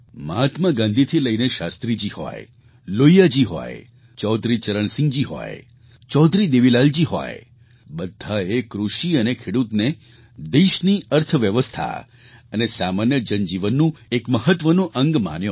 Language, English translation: Gujarati, From Mahatma Gandhi to Shastri ji, Lohia ji, Chaudhari Charan Singh ji, Chaudhari Devi Lal ji they all recognized agriculture and the farmer as vital aspects of the nation's economy and also for the common man's life